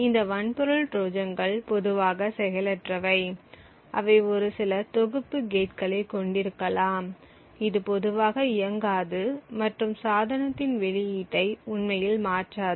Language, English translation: Tamil, These hardware Trojans are typically passive they may just comprise of a few set of gates which typically do not operate and do not actually modify the output of the device and therefore they are very difficult to detect